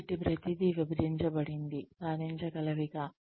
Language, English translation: Telugu, So, everything is broken down, into achievable pieces